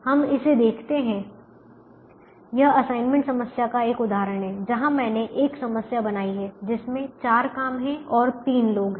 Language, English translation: Hindi, this is an example of an assignment problem where i have created the problem which has four jobs and there are three people